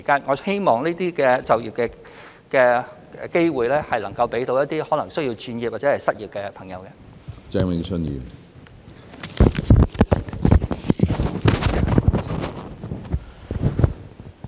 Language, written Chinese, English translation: Cantonese, 我希望這些就業機會能夠惠及可能需要轉業或失業的人士。, I hope that these job opportunities will benefit people who may have to change jobs or those who are unemployed